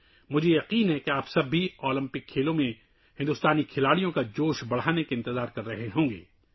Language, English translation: Urdu, I am sure that all of you would also be waiting to cheer for the Indian sportspersons in these Olympic Games